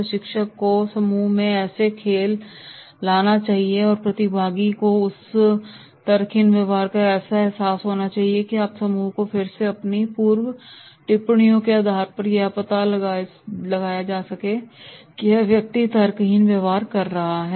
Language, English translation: Hindi, Trainer should bring into play the group to make the participant realise the folly of her irrational behaviour and you may again refer the group back to your earlier comments for therefore you have to play the group to make the participants that is yes that is this person is doing the irrational behaviour